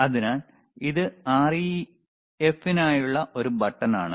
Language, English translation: Malayalam, So, that is a button for REF, all right